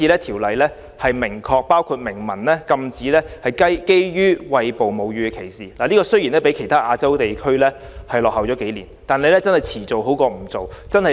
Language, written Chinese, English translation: Cantonese, 《條例草案》明文禁止基於餵哺母乳的歧視，雖然這項建議較其他亞洲地區落後數年，但遲做總比不做好。, The Bill has introduced express provisions prohibiting discrimination on the ground of breastfeeding . While this legislative proposal has come years later than those of other Asian regions it is better late than never